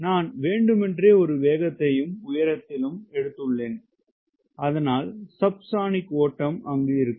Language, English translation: Tamil, i am purposefully, i have taken a speed and then altitude so that the flow is subsonic